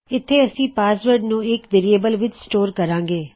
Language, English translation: Punjabi, We are going to store the password in a variable here